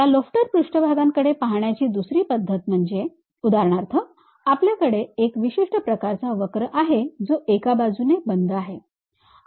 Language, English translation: Marathi, The other way of looking at this lofter surfaces for example, we have one particular curve it is a closed curve on one side